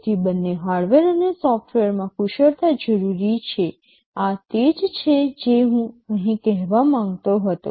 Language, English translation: Gujarati, So, both hardware and software expertise are required this is what I wanted to say here